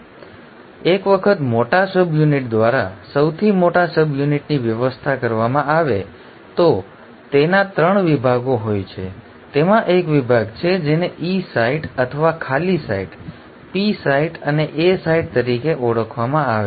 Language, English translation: Gujarati, Now once the large subunit arranges the largest subunit has 3 sites, it has 3 sections; it has a section which is called as the E site or the “empty site”, the P site and the A site